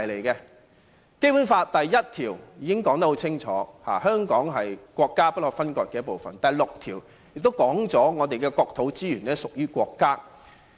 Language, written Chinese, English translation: Cantonese, 《基本法》第一條已清楚說明香港是國家不可分割的一部分；第六條也說明我們的國土資源屬於國家。, Article 1 of the Basic Law clearly states that Hong Kong is an inalienable part of the State while Article 6 also states that the land and natural resources within Hong Kong shall be State property